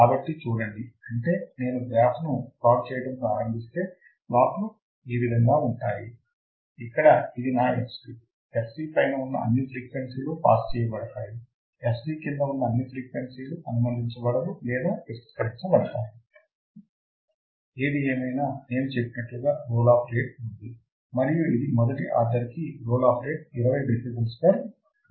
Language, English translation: Telugu, So, see; that means, if I start plotting the graph what I will see is that it has plot like this where this is my f c all frequencies above cutoff frequency that will be passed, all frequencies below this cutoff frequency will be stopped; however, there is a roll off rate like I said and this is a single order then role of rate is of 20 dB per decade